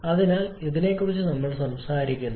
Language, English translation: Malayalam, So, This is what we are talking about